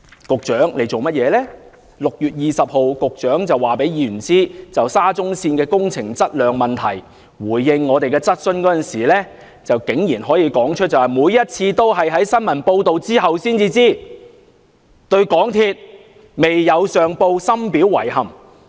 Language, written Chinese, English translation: Cantonese, 局長在6月20日就沙中線的工程質量問題回應議員質詢時竟然指出，每次都是在新聞報道後才得知，對港鐵公司未有上報深表遺憾。, In his reply to a Members question regarding the quality of the construction works of the SCL Project on 20 June the Secretary said that he learnt about the incident only from the news and it was deeply regrettable that MTRCL had not reported the incident to the Government